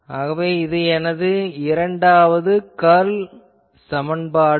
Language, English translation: Tamil, So, this is my Second Curl equation